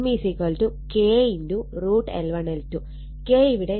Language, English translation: Malayalam, So, K is given 0